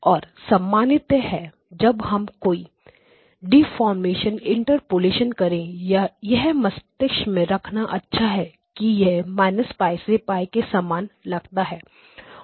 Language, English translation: Hindi, And generally when we do the deformation or interpolations it is good to keep in mind what it looks like minus pi to pi